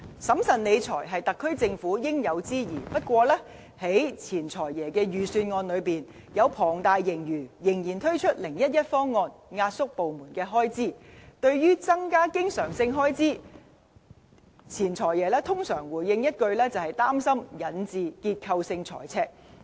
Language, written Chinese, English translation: Cantonese, 審慎理財是特區政府應有之義，不過，在前"財爺"的預算案之中，在龐大盈餘下，仍然推出 "0-1-1" 方案，壓縮部門的開支，對於增加經常性開支，前"財爺"通常回應一句，擔心引致"結構性財赤"。, It is the SAR Governments duty to exercise fiscal prudence . That said the former Financial Secretary decided to roll out the 0 - 1 - 1 proposal in one of his previous Budgets squeezing departmental expenses despite a large surplus . In response to calls for increasing recurrent expenditure the former Financial Secretary as a rule stated his worry about structural deficits